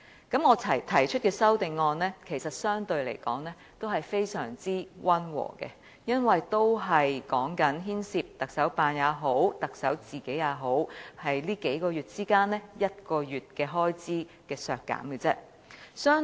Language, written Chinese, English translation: Cantonese, 其實我提出的修正案相對來說非常溫和，因為只牽涉削減行政長官辦公室和行政長官個人在這數個月間其中1個月的開支。, Actually the amendment proposed by me is relatively mild because only the expenditure of the Chief Executives Office and the Chief Executive himself in one month rather than these few months is involved